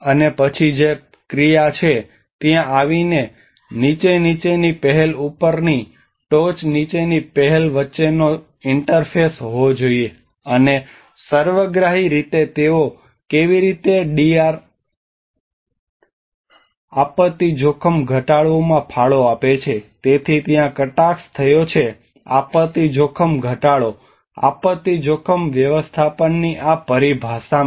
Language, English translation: Gujarati, And then coming to the action which is again there should be an interface between the top down initiatives on the bottom up initiatives and how there is actually in holistically they contribute to the DRR , so there have been a jargon in these terminologies of disaster risk reduction, disaster risk management